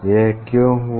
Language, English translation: Hindi, why it happens